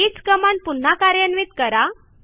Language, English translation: Marathi, In order to repeat a particular command